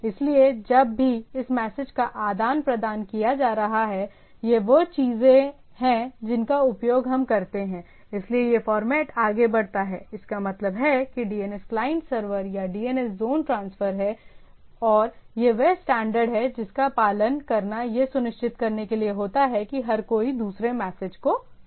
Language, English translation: Hindi, So, whenever this RR message is being exchanged, so these are the things which are which are used for when we do, so this this format goes on; that means, the DNS clients are severs or DNS zone transfers the this is the standard which is follows to the everybody understands the other message